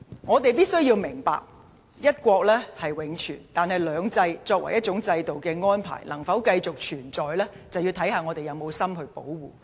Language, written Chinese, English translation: Cantonese, 我們必須明白，"一國"是永存，但"兩制"作為一個制度的安排，能否繼續實施，視乎我們是否有心去保護。, We must understand that one country will always exist but whether two systems as an arrangement of a system can still be implemented will depend on whether we have the heart to protect it